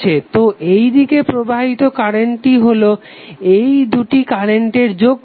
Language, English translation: Bengali, So the current flowing in this direction would be some of these two currents